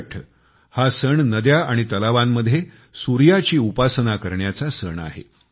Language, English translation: Marathi, Chhath festival is associated with the worship of the sun, rivers and ponds